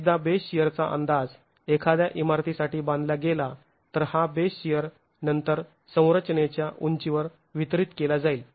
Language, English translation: Marathi, Once the base share is estimated for a given building, this base share is then distributed along the height of a structure